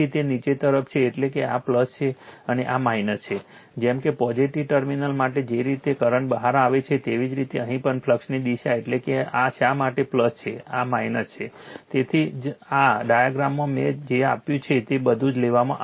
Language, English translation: Gujarati, So, as it is downward means this is plus and this is minus, as if the way current comes out for the positive terminal here also the flux direction that is why this is plus this is minus that is why, that is why in the diagram that is why in this diagram, you are taken this one everything I have given to you